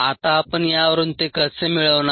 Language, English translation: Marathi, now how do we go about it